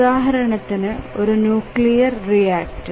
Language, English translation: Malayalam, I just giving an example of a nuclear reactor